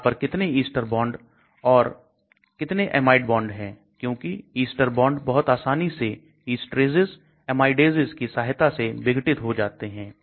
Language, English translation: Hindi, How many ester bonds are there, amide bonds are there because ester bonds can easily degrade with esteraces, amidases